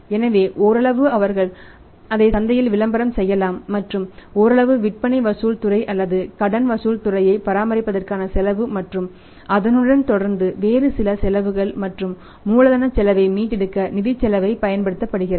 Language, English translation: Tamil, So, partly they can advertise it in the market and partly the cost of maintaining a sales collection department or debt collection department plus some other costs associated with means the financial project is used as the loading factor to recover the cost of capital